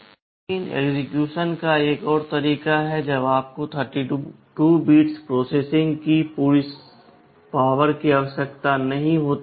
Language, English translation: Hindi, But there is another mode of execution when you do not need the full power of 32 bit processing